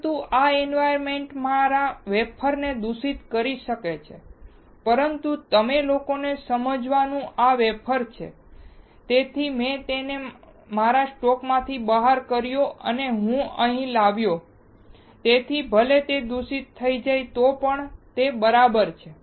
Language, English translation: Gujarati, But this environment can contaminate my wafer, but since this is the wafer for you guys to understand, I took it out of my stock and I brought it here, so even if it gets contaminated it is ok